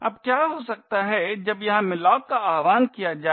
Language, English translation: Hindi, Now what could happen when malloc gets invoked over here